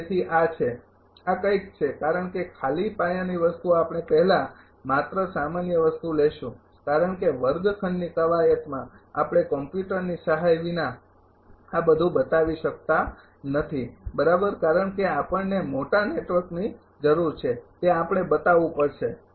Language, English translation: Gujarati, So, this is this is something because just basic thing before we will take simple thing because in the classroom exercise, we cannot show all these without in the help of computer right because we need large network we have to show